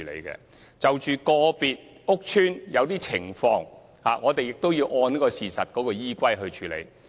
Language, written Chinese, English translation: Cantonese, 關於個別屋邨的某些情況，我們亦要按事實來處理。, Regarding the particular conditions of the specific estate we have to handle matters according to the facts too